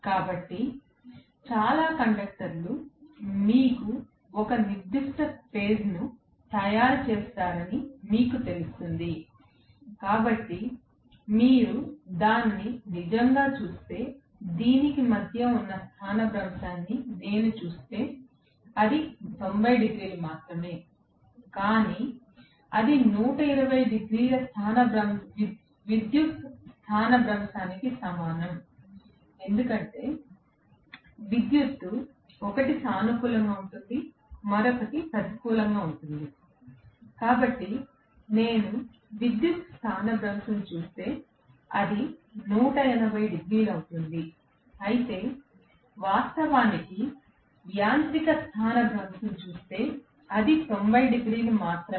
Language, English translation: Telugu, So, so many conductors will be you know making up for one particular phase, so if you actually look at it, although I am having if I look at the displacement between this to this, it is only 90 degrees, but that is going to be equivalent to the electrical displacement of 180 degree because electrically one is positive the other one is negative, so if I look at the electrical displacement it will be 180 degrees whereas if I look at actually the mechanical displacement it is only 90 degree